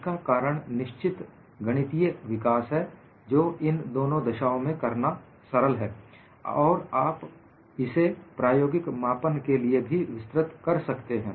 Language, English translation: Hindi, The reason is certain mathematical developments are easier to do in one of these cases, and also, you could extend it for an experimental measurement